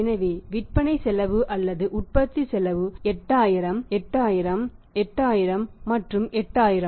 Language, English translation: Tamil, And what is the cost of sales cost of sales cost of sales here is this is 8000